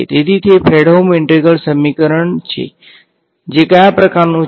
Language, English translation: Gujarati, So, it is a Fredholm integral equation IE, of which kind which kind